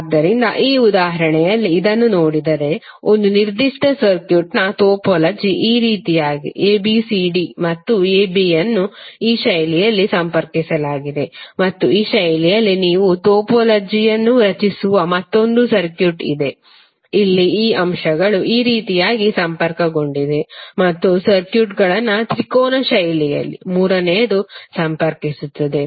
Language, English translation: Kannada, So in this example if you see this the topology of one particular circuit is like this where a, c, b, d and a b are connected in this fashion and there is another circuit where you create the topology in this fashion where these elements are connected like this and third one where the circuits are connected in a triangular fashion